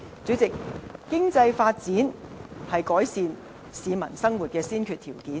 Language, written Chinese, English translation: Cantonese, 主席，經濟發展是改善市民生活的先決條件。, President economic development is the prerequisite for improving the peoples livelihood